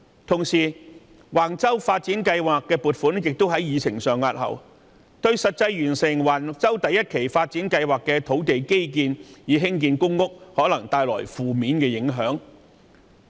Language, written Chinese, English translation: Cantonese, 同時，橫洲發展計劃的撥款項目亦在議程上押後，這對於完成橫洲第一期發展計劃的基建以興建公屋，可能帶來負面影響。, In addition the funding item for the Wang Chau Development Project has been given a lower priority on the agenda . The infrastructure works for public housing development in Phase 1 of the Wang Chau Development Project may then be negatively affected